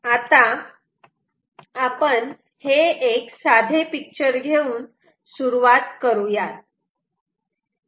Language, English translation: Marathi, let us start by taking a very simple picture